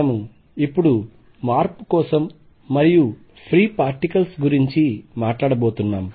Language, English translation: Telugu, We are going to now change and talk about free particles